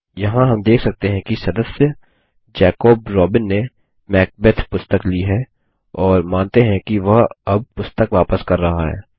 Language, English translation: Hindi, Here we see that the member Jacob Robin has borrowed the book Macbeth, and let us assume now that he is returning the book